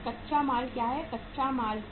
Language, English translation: Hindi, What is the raw material, to raw material